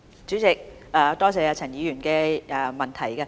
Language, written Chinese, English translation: Cantonese, 主席，多謝陳議員的質詢。, President I thank Mr CHAN for his question